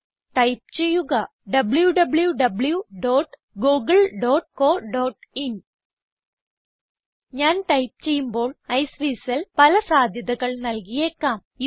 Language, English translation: Malayalam, I will type www.google.co.in As I type, Iceweasel may suggest a few possibilities